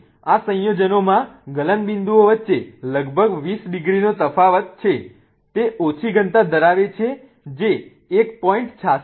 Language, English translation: Gujarati, So, there is about a 20 degrees difference between the melting points of these compounds